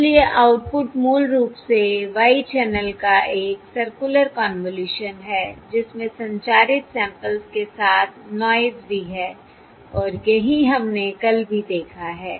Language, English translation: Hindi, So the output, basically y, is a circular convolution of the channel with the transmitted samples plus the noise